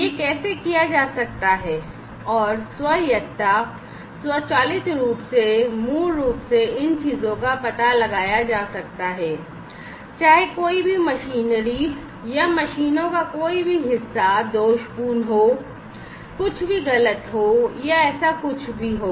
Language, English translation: Hindi, So, how can this be done and autonomy, autonomously, automatically, basically these things are going to be detected, whether any machinery or, any parts of the machines are defective or, anything is going wrong or anything like that